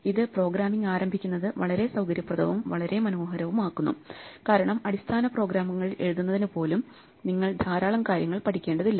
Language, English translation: Malayalam, So, that makes it very convenient and very nice to start programming because you do not have to learn a lot of things in order to write even basic programs